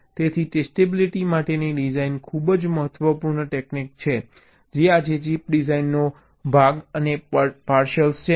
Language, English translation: Gujarati, ok, so design for testabilities are very important technique which is part and partial of chip design today